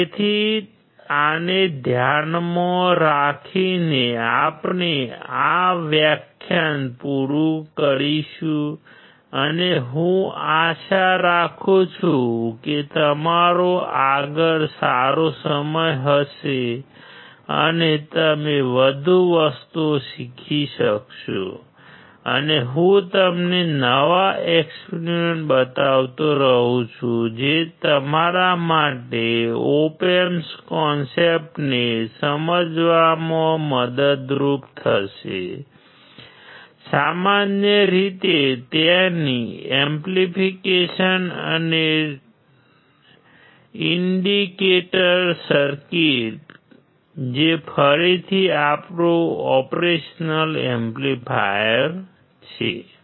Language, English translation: Gujarati, So, keeping this in mind, we will finish this lecture and I hope that you have a good time ahead and you learn more things and I keep on showing you new experiments which would be helpful for you to understand the concept of op amps and in general their applications and the indicator circuit which is again our operation amplifier